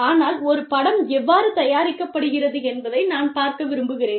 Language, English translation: Tamil, But, I would really like to see, how a film is made